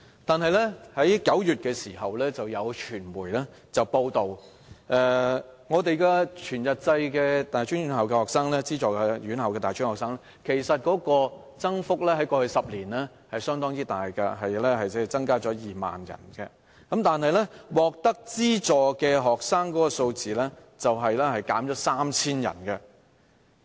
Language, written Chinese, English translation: Cantonese, 但是，今年9月有傳媒報道，全日制資助院校的大專學生人數，在過去10年的增幅相當大，增加了2萬人，但獲得資助的學生人數，卻減少了3000人。, However in September this year the media reported that the number of students studying in full - time funded institutions over the past 10 years had substantially increased by 20 000 but the number of students receiving subsidies had reduced by 3 000